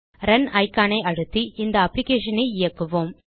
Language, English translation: Tamil, Now let us Run this application by clicking on Runicon